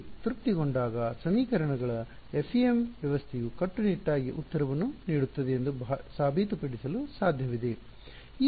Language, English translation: Kannada, When this is satisfied, it is possible to prove that the FEM system of equations rigorously gives the solution